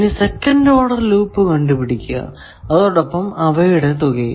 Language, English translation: Malayalam, Then, you identify second order loops, sum of all those second order loops